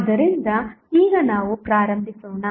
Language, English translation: Kannada, So, now let us start